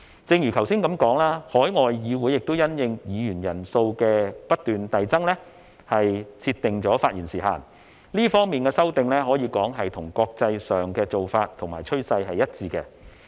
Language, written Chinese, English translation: Cantonese, 正如我剛才所說，海外議會亦因應議員人數不斷遞增而設定發言時限，這方面的修訂可說是與國際上的做法和趨勢一致。, As I just said overseas legislatures will also set a limit on the speaking time when their numbers of members continue to rise . Our amendment in this regard is consistent with the international practice and trend